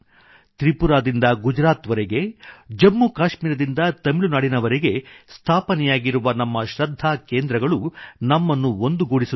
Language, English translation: Kannada, Our centres of faith established from Tripura to Gujarat and from Jammu and Kashmir to Tamil Nadu, unite us as one